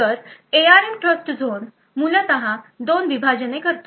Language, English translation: Marathi, So, the ARM Trustzone essentially creates two partitions